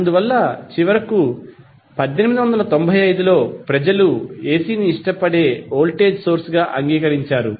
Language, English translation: Telugu, So, that is why finally around 1895 people accepted AC as a preferred voltage source